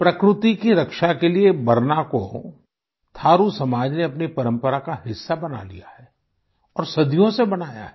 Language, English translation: Hindi, The Thaaru community has adopted BARNA as a tradition for protection of nature; that too for centuries